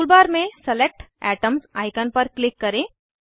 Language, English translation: Hindi, Click on Select atoms icon in the tool bar